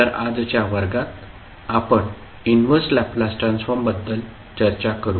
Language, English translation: Marathi, So, in today's class, we will discuss about the Inverse Laplace Transform